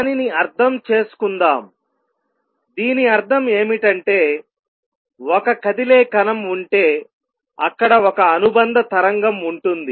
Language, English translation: Telugu, Let us understand that, what it means is that if there is a particle which is moving there is a associated wave